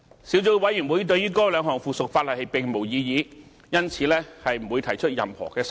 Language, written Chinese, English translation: Cantonese, 小組委員會對於該兩項附屬法例並無異議，因此不會提出任何修訂。, The Subcommittees does not raise any objection to the two items of subsidiary legislation and therefore has not proposed any amendment